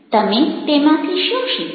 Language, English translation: Gujarati, what did you learn from